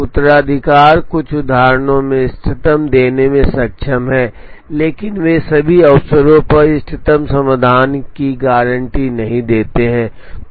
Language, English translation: Hindi, The heuristics are capable of giving the optimum in certain instances, but they do not guarantee optimal solutions on all occasions